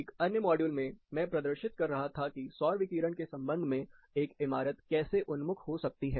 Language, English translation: Hindi, In another module, I was demonstrating how a building can be oriented, with respect to the solar radiation